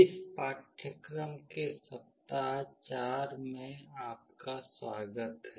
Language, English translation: Hindi, Welcome to week 4 of the course